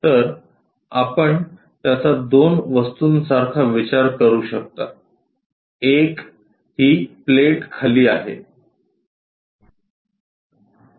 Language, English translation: Marathi, So, you can think of it like two objects; one is this plate bottom one